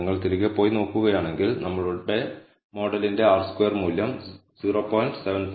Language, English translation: Malayalam, Now if you go back and see, the R squared value for our model is 0